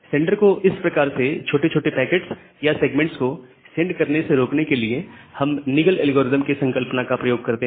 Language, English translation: Hindi, Now, to prevent sender for sending this kind of small packets or small segments, we use the concept of Nagle’s algorithm